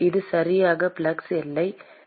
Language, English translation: Tamil, This is exactly the flux boundary condition